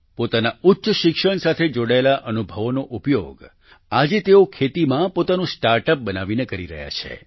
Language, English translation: Gujarati, He is now using his experience of higher education by launching his own startup in agriculture